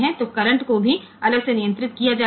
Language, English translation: Hindi, So, the currents are controlled separately